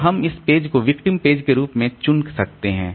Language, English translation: Hindi, So, we can select this page as the victim page